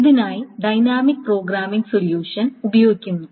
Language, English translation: Malayalam, It does a dynamic programming solution